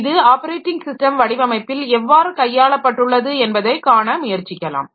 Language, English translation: Tamil, So, we will try to see how this can be taken care of in the operating system design